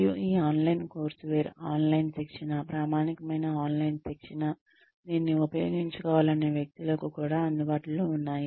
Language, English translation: Telugu, And, this online courseware, online training, authentic online training, is also available for people, who want to use it